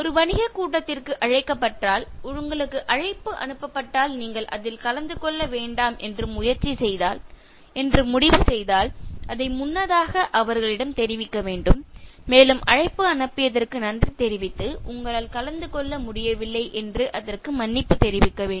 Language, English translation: Tamil, If invited for a business meeting, if an invitation is sent and you choose not to attend it, you need to inform in advance so you have to thank them that you are attending it, you should also say thank you for the invitation and say sorry that you could not attend it